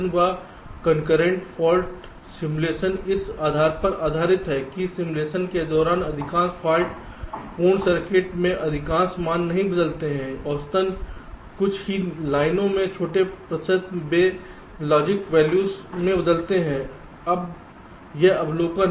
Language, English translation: Hindi, now, concurrent fault simulation is based on the premise that during simulation most of the values in most of the faulty circuits do not change, that on the average, only a few lines, ah, small percentage of the lines they change in the logic values